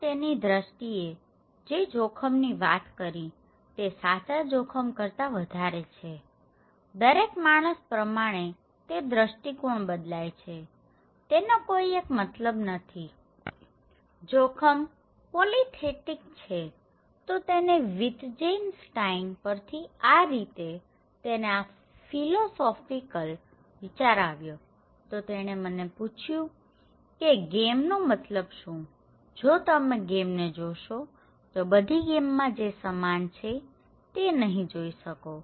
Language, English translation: Gujarati, But he is arguing that risk is more than that risk actually a kind of perceptions, it varies from one person to another, there is no one meaning, risk is more polythetic, so he got this philosophical idea okay, from Wittgenstein, he is asking that to for you what is the meaning of a game okay, for if you look at the game, you will not see something that is common to all game